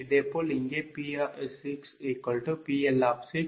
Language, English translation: Tamil, similarly, here also, p six will be pl six, q six will be ql six